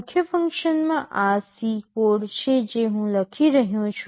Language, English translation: Gujarati, In the main function this is a C code I am writing